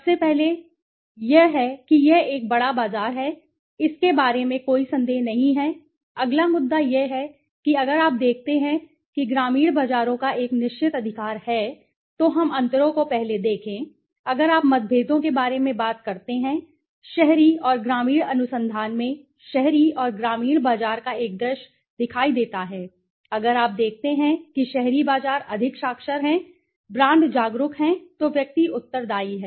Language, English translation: Hindi, First of all, so the first is it is a large market there is no doubt about it the next issue that comes is if you see rural markets have a certain characteristic right so let us see the differences first if you talk about differences if you look into urban and rural research vis a vis the urban and rural market as for, if you see urban markets are more literate, brand aware, individual are responsive right